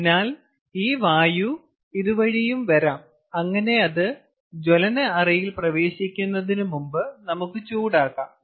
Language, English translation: Malayalam, ok, so the air can also, as it comes, can be preheated before it enters a combustion chamber